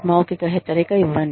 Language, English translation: Telugu, Give a verbal warning